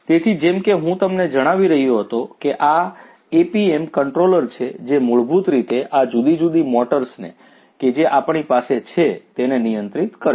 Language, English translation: Gujarati, So, so, as I was telling you that this is this APM controller which basically will control these different motors that we have